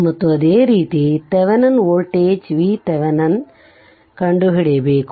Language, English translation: Kannada, And similarly you have to find out your Thevenin voltage V thevenin